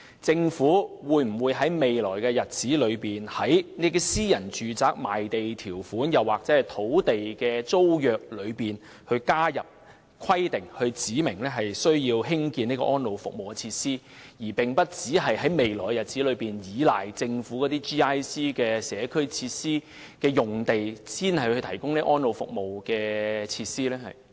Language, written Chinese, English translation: Cantonese, 在未來的日子，政府會否在私人住宅賣地條款或土地租約中加入必須興建安老服務設施的規定，而並非單靠在"政府、機構或社區"用地提供安老服務設施？, In the future will the Government include the requirement for providing elderly service facilities in the conditions of sale or land leases of private domestic sites instead of providing such facilities solely on the GIC sites?